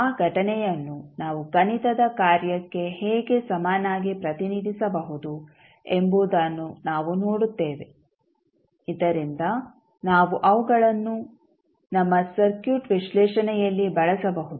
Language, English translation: Kannada, Then we will see how we can equivalently represent that event also into the mathematical function so that we can use them in our circuit analysis